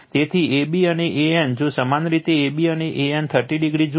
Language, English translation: Gujarati, So, ab and an, if you look ab and an 30 degree